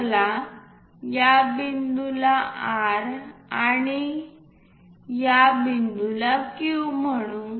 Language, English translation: Marathi, Let us call this point J, this point K